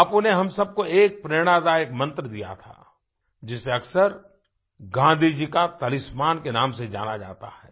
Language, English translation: Hindi, Bapu gave an inspirational mantra to all of us which is known as Gandhiji's Talisman